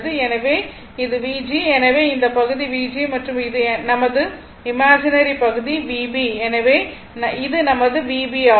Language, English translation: Tamil, So, this is my V g so, this portion is V g and this is my imaginary part V b so, this is my V b